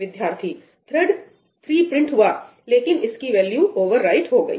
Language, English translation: Hindi, Thread 3 also printed, but its value was overwritten by thread 1